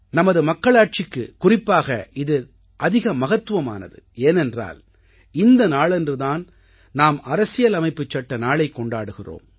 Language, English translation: Tamil, This is especially important for our republic since we celebrate this day as Constitution Day